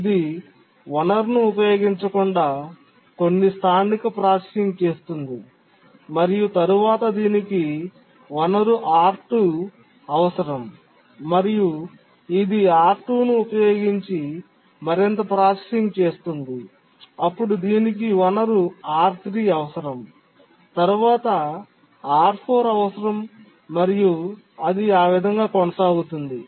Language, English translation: Telugu, It does some local processing without using resource, then it needs the resource R2 and then it does further processing using R2, then it needs R3, then it needs R4 and so on